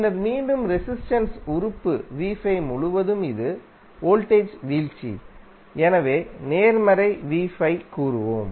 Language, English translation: Tamil, And then again across resistive element v¬5 ¬it is voltage drop so we will say as positive v¬5¬